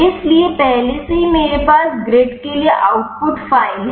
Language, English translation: Hindi, So, already I am having the output file for the grid